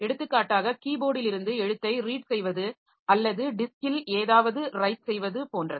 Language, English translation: Tamil, For example, read a character from the keyboard or write something onto the disk like that